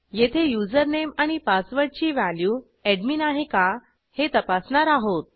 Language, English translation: Marathi, Here we check if username and password equals admin